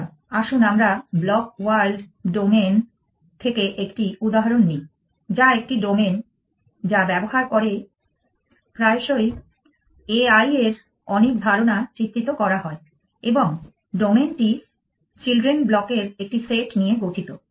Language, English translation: Bengali, So, let us take an example from the blocks world domain which is a domain which is often used to illustrate many ideas in e i and the domain consist of a set of children blocks